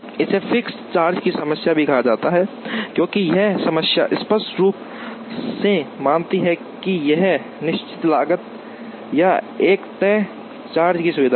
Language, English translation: Hindi, It is also called a fixed charge problem, because this problem explicitly assumes that, there is a fixed cost or a fixed charge of locating facilities